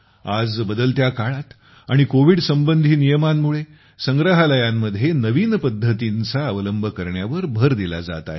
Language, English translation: Marathi, Today, in the changing times and due to the covid protocols, emphasis is being placed on adopting new methods in museums